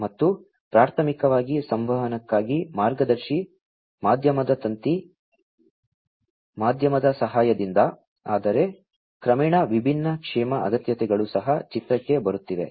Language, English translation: Kannada, And, with the help of guided media wired medium for communication primarily, but gradually you know the different wellness requirements are also coming into picture